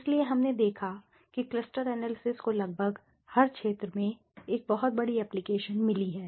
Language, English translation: Hindi, So, we saw that cluster analysis has got a large application very large application in almost every field right